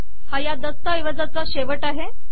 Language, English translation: Marathi, This is the end of the document